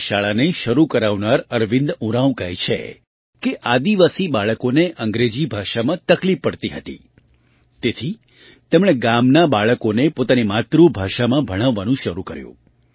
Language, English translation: Gujarati, Arvind Oraon, who started this school, says that the tribal children had difficulty in English language, so he started teaching the village children in their mother tongue